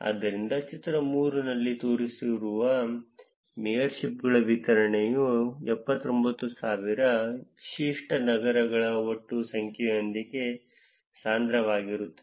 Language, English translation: Kannada, So, the distribution of mayorships shown in figure 3 is denser with a total number of unique cities being 79,000